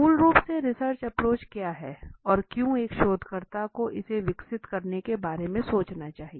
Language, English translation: Hindi, What is the research approach basically and why should a researcher understand about developing a research approach